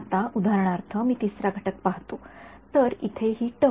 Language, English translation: Marathi, Now for example, I look at the 3rd component right so, this term over here